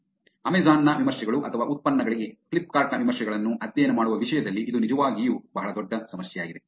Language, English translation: Kannada, It is actually a very big problem in terms of studying Amazon’s reviews or Flipkart’s reviews also for products